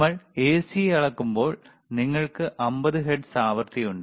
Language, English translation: Malayalam, So, when we measure the AC, you have 50 hertz frequency